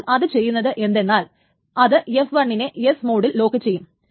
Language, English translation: Malayalam, So the only thing that it does is that it just locks D in the S mode